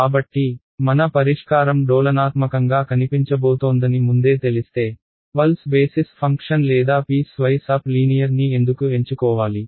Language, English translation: Telugu, So, if I know beforehand that my solution is going to look oscillatory then why choose pulse basis function or piece wise up linear